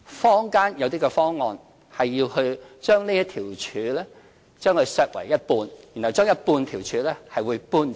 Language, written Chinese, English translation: Cantonese, 坊間有些方案，是要把這條柱削為一半，把半條柱搬走。, Certain proposals from the community suggest trimming the pillar by a half